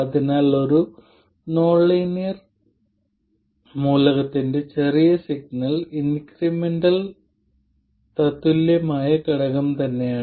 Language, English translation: Malayalam, So, the small signal incremental equivalent of a linear element is the element itself